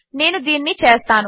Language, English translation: Telugu, I am going to do this